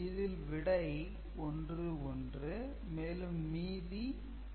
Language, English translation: Tamil, it becomes 1 plus 1 becomes 2